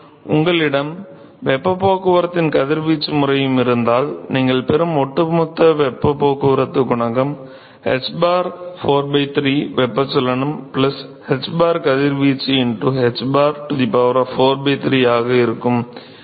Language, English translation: Tamil, So, suppose if you have radiation mode of heat transport also, then the overall heat transport coefficient that you get which is hbar is related as hbar 4 by 3 convection plus hbar radiation into hbar to the power of 4 by 3 ok